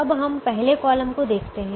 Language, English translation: Hindi, no, we look at the first column, so the first column